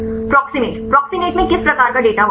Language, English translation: Hindi, Proximate, proximate contains which type of data